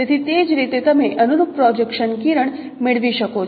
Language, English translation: Gujarati, So that is how you can get the corresponding projection ray